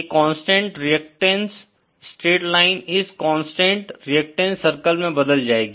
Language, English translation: Hindi, This constant reactance straight line is converted to this constant reactance circle